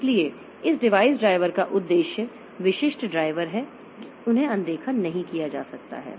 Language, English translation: Hindi, So, the purpose of this device drivers, device specific drivers, they cannot be ignored